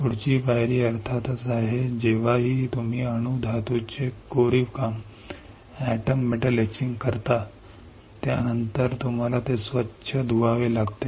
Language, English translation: Marathi, Next step is of course, whenever you do the atom metal etching, after that you have to rinse it